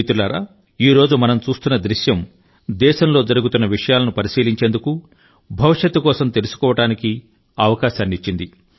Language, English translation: Telugu, But friends, the current scenario that we are witnessing is an eye opener to happenings in the past to the country; it is also an opportunity for scrutiny and lessons for the future